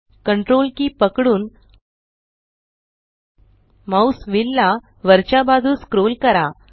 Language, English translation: Marathi, Hold Ctrl and scroll the mouse wheel upwards